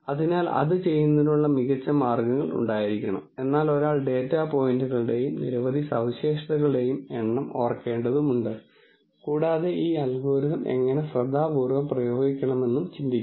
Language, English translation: Malayalam, So, there must be smarter ways of doing it, but nonetheless one has to remember the number of data points and number of features, one has to think how to apply this algorithm carefully